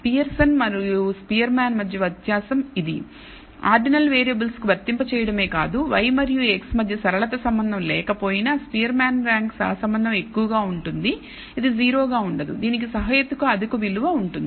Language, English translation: Telugu, The difference is between Pearson’s and Spearman is not only can it be applied to ordinal variables even if there is a non linear relationship between y and x the spearman rank correlation can be high it will not likely to be 0, it will have a reasonably high value